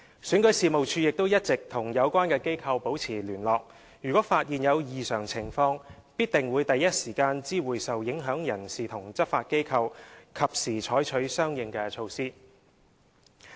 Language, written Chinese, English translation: Cantonese, 選舉事務處亦一直與有關機構保持聯絡，如發現有異常情況，必定會第一時間知會受影響人士和執法機構，及時採取相應措施。, If any abnormality is found the affected persons and law enforcing bodies will certainly be notified immediately and timely measures will also be duly taken